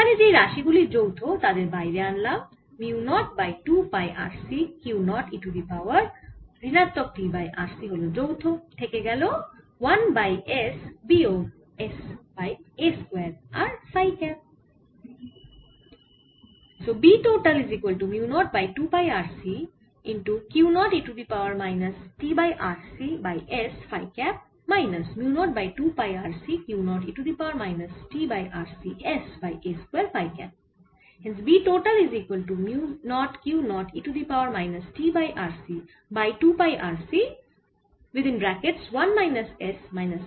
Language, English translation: Bengali, so b total will be mu naught by two pi r c q naught e to the power minus t by r c by s phi cap minus mu naught by two pi r c q naught e to the power minus t by r c s by a square phi cap